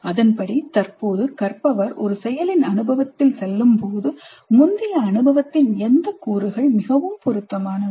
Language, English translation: Tamil, Given that presently there is an experience through which the learner is going, which elements of the previous experience are most relevant